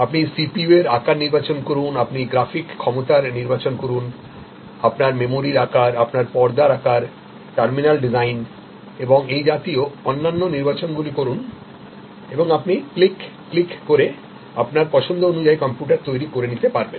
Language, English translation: Bengali, So, you select the CPU size, you select the kind of graphic capability, you need select the memory size, you select the screen size, the terminal design and so on and you click, click, click, click create the computer to your choice